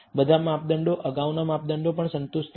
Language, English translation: Gujarati, All the measures, previous measures also, were satisfied